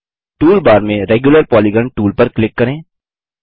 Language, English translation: Hindi, Select Regular Polygon tool from the toolbar